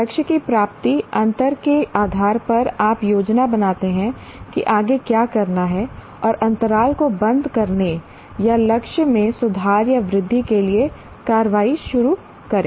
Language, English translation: Hindi, Depending on the attainment gap of the target, you plan what to do next and initiate the action for closing the gap or improving the or increasing the target